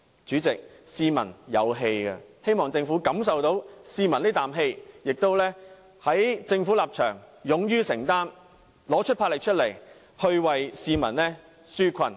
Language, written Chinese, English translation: Cantonese, 主席，市民有怨氣，希望政府能感受得到，並勇於承擔，拿出魄力為市民紓困。, President I hope the Government can recognize peoples grievances and bravely make a commitment to relieve the plight of the people with vigour